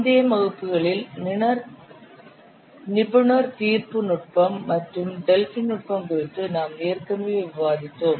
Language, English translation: Tamil, We have already discussed export judgment technique and Delphi technique in the previous classes